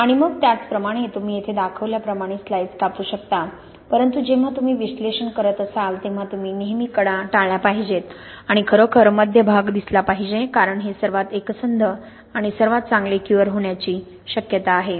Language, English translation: Marathi, And then similarly you can cut slices as is shown here but when you are making the analysis you should always avoid the edges and really look central part because this is likely to be the most homogenous and the most well cured